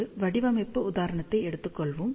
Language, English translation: Tamil, So, let us just take a design example